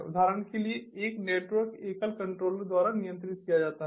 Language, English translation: Hindi, for example, a network is controlled by a single controller